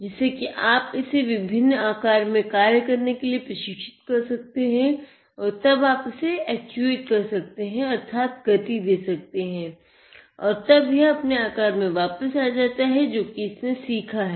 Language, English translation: Hindi, So, you could train it to work in different shapes and then you can actuate it and it regains its shape which it has learnt